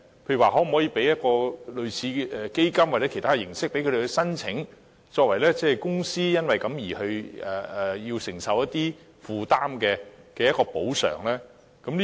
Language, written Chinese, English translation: Cantonese, 例如可否提供類似基金或其他形式的支援供他們申請，作為公司因為須作出一些承擔而可獲得的補償呢？, For example can support in the form of a fund or other forms be made available for their application so that these companies can receive compensations for making certain commitments?